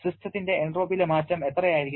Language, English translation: Malayalam, How much will be the change in the entropy of the system